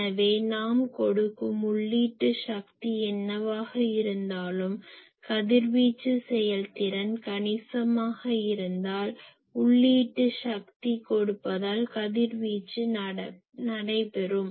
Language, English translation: Tamil, So, whatever input power I am giving , if radiation efficiency is substantial I know ok that power is also getting radiated because I am giving input power